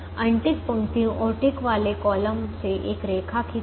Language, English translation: Hindi, draw a lines through unticked rows and ticked columns